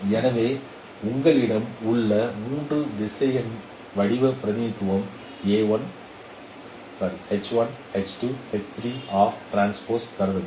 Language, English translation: Tamil, So consider a three vectorial form representation